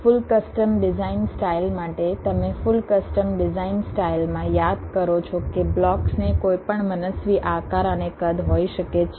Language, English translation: Gujarati, ah, for the full custom design style, you recall, in the full custom design style the blocks can have any arbitrate shapes and sizes